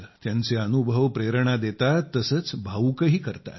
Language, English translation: Marathi, Her experiences inspire us, make us emotional too